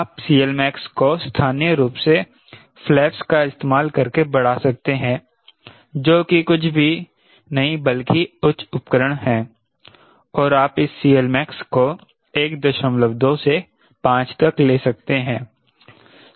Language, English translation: Hindi, you can increase c l max locally by using flaps which are nothing but highly devices and you can take this c l max from one point two to around five